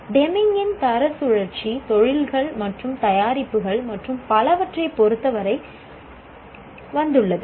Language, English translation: Tamil, Deming's quality cycle has come with respect to industrial industries and production and so on